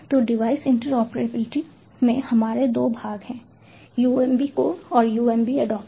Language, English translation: Hindi, so in device interoperability, we have two parts: the umb core and the umb adaptor